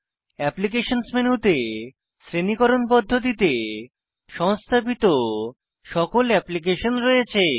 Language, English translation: Bengali, The Applications menu contains all the installed applications in a categorized manner